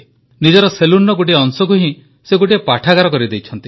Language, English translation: Odia, He has converted a small portion of his salon into a library